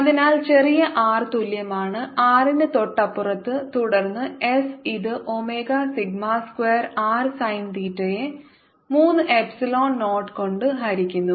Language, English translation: Malayalam, it is given that just outside the sphere, so put small r is equal to r just outside, and then it will reduce as s equals to omega sigma square r sine theta, divided by three, epsilon naught